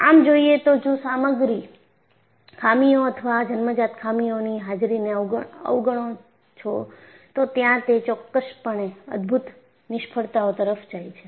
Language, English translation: Gujarati, And obviously, if you ignore the presence of material defects or inherent flaws, it will definitely lead to spectacular failures